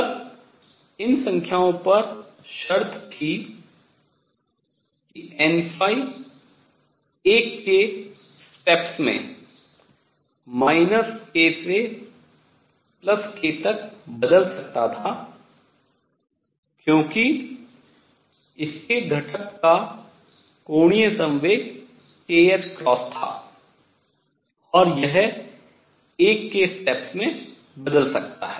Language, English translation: Hindi, Then the conditions on these numbers were that n phi varied from minus k to k in steps of 1, because the angular momentum of its component was k times h cross and it could vary in steps of 1